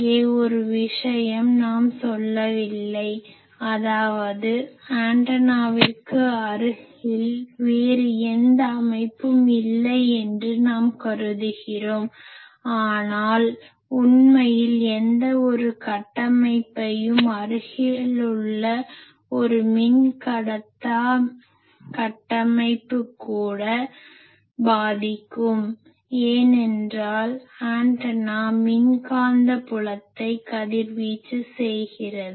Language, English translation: Tamil, Then here one thing we are not saying that, we are assuming that near the antenna, there is no other structure, but in reality any conductor any structure even a dielectric structure nearby that will affect, because antenna is radiating a field that electromagnetic field will go there